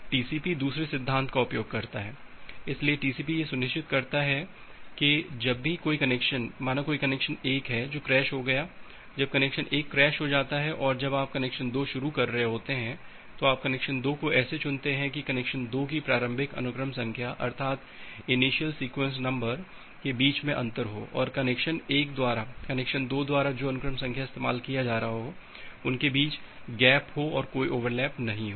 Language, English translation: Hindi, Now TCP uses the second principle, so TCP ensures that whenever a connection, say connection 1 crashes, so this was connection 1 whenever connection 1 crashes, whenever you are starting connection 2 you choose the connection 2, the initial sequence number of connection 2 in such a way that there is a gap in between so this is for connection 2; there is a gap in between and there is no overlap between the sequence number which is being used by connection 1 and which is being used by connection 2